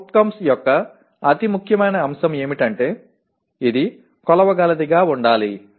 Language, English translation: Telugu, The most important aspect of CO is, it should be measurable